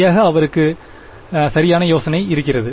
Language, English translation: Tamil, Exactly he has a right idea right